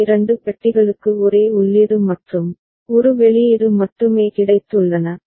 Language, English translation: Tamil, Other two boxes have got only one input and one output